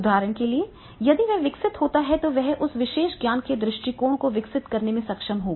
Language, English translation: Hindi, If he develops then he will be able to develop that particular the knowledge approach